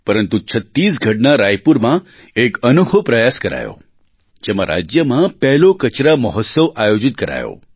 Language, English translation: Gujarati, But in a unique endeavor in Raipur, Chhattisgarh, the state's first 'Trash Mahotsav' was organized